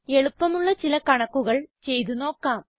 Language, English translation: Malayalam, Let us try some simple calculations